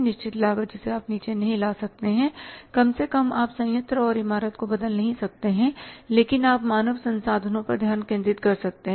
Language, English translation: Hindi, Fix cost you can't bring down but at least means the plant building you can't change but you can focus upon the human resources